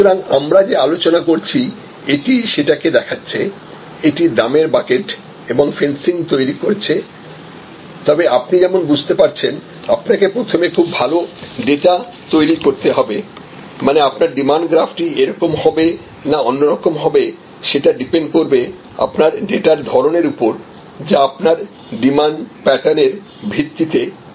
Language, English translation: Bengali, So, this is a depiction of what we have been discussing; that is creating price buckets and fences, understanding, but as you can see you have to create first get a lot of good data to know whether your demand graph looks like this or it looks like this, or it looks like this; that is based on the kind of data that you have seen of your demand pattern